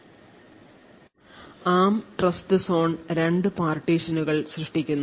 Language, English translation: Malayalam, So, the ARM Trustzone essentially creates two partitions